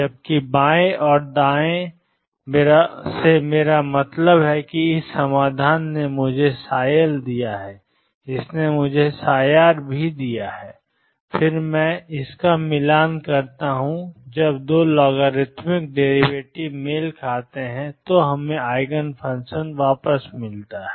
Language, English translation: Hindi, While left or right I mean this solution gave me psi left this gave me psi right and then I match this when the 2 logarithmic derivatives match we have found the eigen function